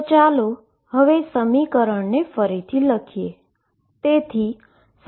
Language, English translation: Gujarati, So, let us now write again